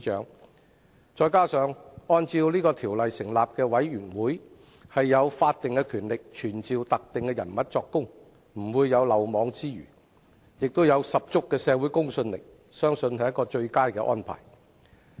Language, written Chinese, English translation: Cantonese, 此外，根據《調查委員會條例》成立的調查委員會有法定權力傳召特定人士作供，不會有漏網之魚，並有十足的社會公信力，相信是最佳的安排。, In addition the Commission of Inquiry set up pursuant to the Commissions of Inquiry Ordinance has the statutory power to summon specific persons to give evidence . As no one can slip through its net the Commission of Inquiry enjoys considerable credibility in society . I believe this is the best arrangement